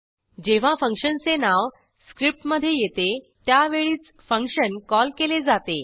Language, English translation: Marathi, # The function is called only when its name appears within the script